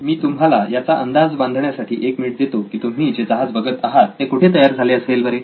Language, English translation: Marathi, I will give you a minute to guess where the ship that you see on the screen was made